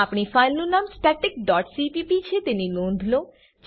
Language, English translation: Gujarati, Note that our file name is static dot cpp Let me explain the code now